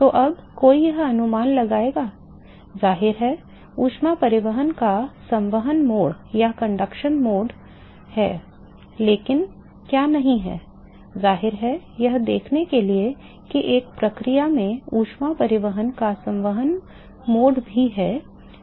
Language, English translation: Hindi, So now, one would guess that; obviously, there is conduction mode of heat transport, but what is not; obviously, to see is that also convective mode of heat transport in the same process